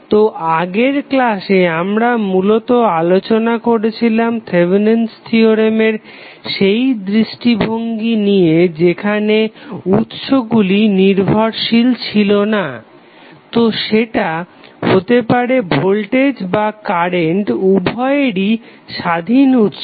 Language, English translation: Bengali, So, in the last class we basically discussed the Thevenin theorem aspect when the source is non dependent source, so that can be like voltage or current both were independent sources